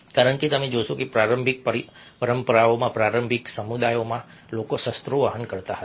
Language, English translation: Gujarati, that is what we get to know, because you find that in the early traditions, in early communities, people used to carry weapons